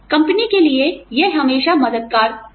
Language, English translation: Hindi, Always helpful for the company